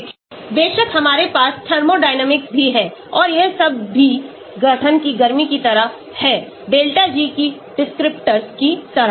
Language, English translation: Hindi, Of course, we also have thermodynamics and all that also like heat of formation, delta G that sort of descriptors